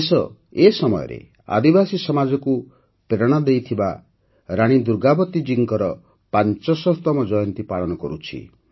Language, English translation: Odia, The country is currently celebrating the 500th Birth Anniversary of Rani Durgavati Ji, who inspired the tribal society